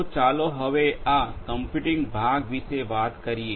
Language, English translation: Gujarati, Now, let us talk about this computing part